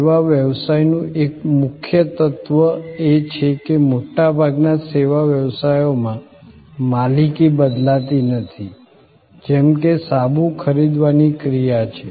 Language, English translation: Gujarati, One key element of service business is that, in most service businesses as suppose to your act of buying a soap, there is no transfer of ownership